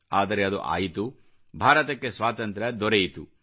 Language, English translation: Kannada, But this did happen and India got freedom